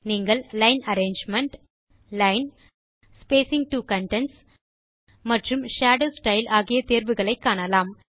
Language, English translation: Tamil, You will see the options for Line arrangement, Line, Spacing to contents and Shadow style